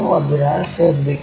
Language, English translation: Malayalam, So, one has to be careful